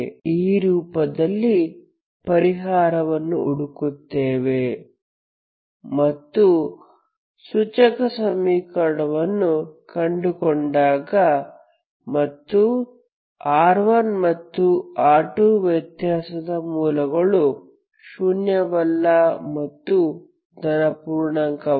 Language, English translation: Kannada, You find the indicial equation, you look for solution in this form and when you find the indicial equation the difference of the roots r 1 and r 2 is non zero and not a positive integer